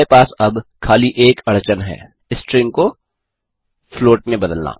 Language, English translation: Hindi, So, We shall now look at converting strings into floats